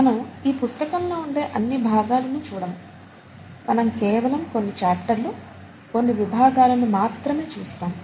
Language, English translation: Telugu, We will not be looking at all parts of it; we’ll be looking at some chapters and some sections of some chapters in this book